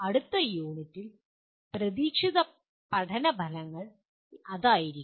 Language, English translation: Malayalam, That will be the expected learning outcomes of the next unit